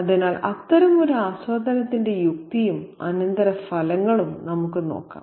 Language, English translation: Malayalam, So, let's look at the rational and the consequences of such an enjoyment as well